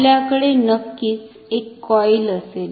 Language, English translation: Marathi, This we will of course, have a coil